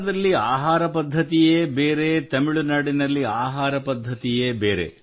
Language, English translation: Kannada, In Bihar food habits are different from the way they are in Tamilnadu